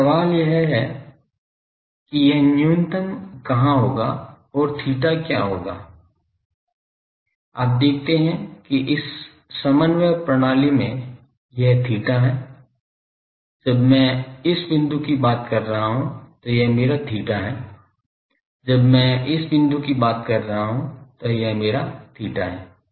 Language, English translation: Hindi, Now, the question is that where it will be minimum and what is theta, you see in this coordinate system this is theta, when I am talking of this point this is my theta, when I am talking of this point this is my theta ok